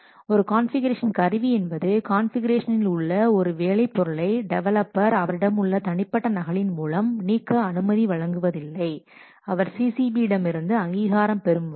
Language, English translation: Tamil, A configuration tool does not allow a developer to replace a work product in the configuration with his local copy unless he gets an authorization from the CCB